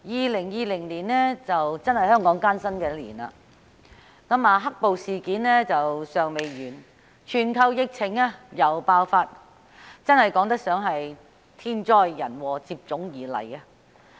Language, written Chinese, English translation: Cantonese, 主席 ，2020 年的確是香港艱辛的一年，"黑暴"事件尚未完結，全球又爆發疫情，可謂天災人禍接踵而來。, President the year 2020 is really a difficult year for Hong Kong . With the black - clad violence not yet over here comes the global epidemic . It can be said that natural catastrophe and man - made disasters are coming one after another